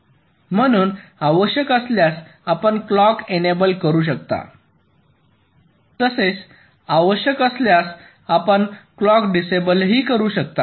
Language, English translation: Marathi, so when required you can enable the clock, so when required you can disable the clock